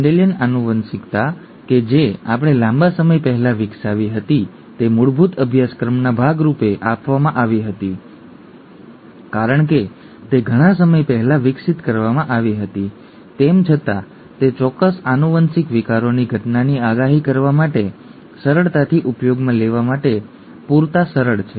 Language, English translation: Gujarati, The Mendelian genetics that we had developed a long time ago, it was given as a part of of a basic course because although they were developed a long time ago, they are simple enough to be easily used to predict the occurrence of certain genetic disorders